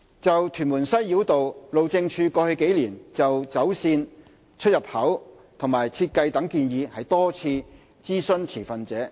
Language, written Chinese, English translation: Cantonese, 就屯門西繞道，路政署過去幾年就走線、出入口及設計等建議多次諮詢持份者。, Regarding the Tuen Mun Western Bypass HyD has consulted stakeholders many times on its alignment portal and design in the past few years